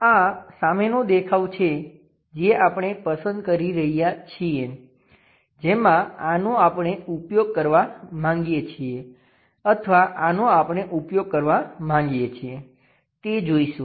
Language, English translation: Gujarati, This is the front view we are picking whether this one we would like to use or this one we would like to use, we will see